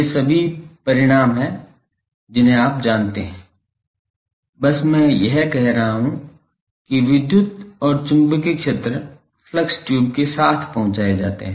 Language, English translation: Hindi, These are all these results you know; just I am saying it that the electric and magnetic fields are transported along the flux tubes